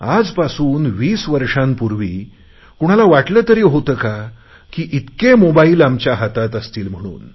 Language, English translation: Marathi, Twenty years ago who would have thought that so many mobiles would be in our hands